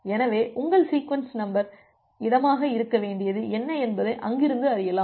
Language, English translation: Tamil, So, from there you can find out that what should be what should be your sequence number space